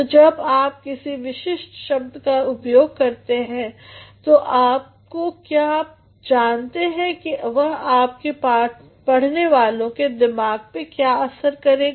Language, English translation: Hindi, So, when you are using a particular word, are you aware of how it will affect the mind of your readers